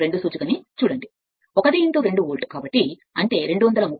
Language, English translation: Telugu, Look at the cursor, 1 into 2 volt right so; that means, 230 minus 40 into 0